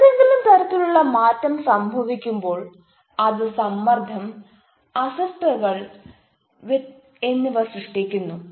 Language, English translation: Malayalam, when any kind of change takes place, it creates stress, disturbances, discomfort, is not it